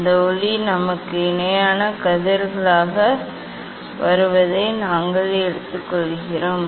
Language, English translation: Tamil, we take that light is coming to us as a parallel rays